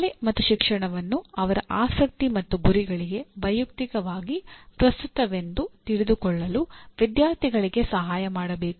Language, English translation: Kannada, Helping students see schooling and education as personally relevant to their interests and goals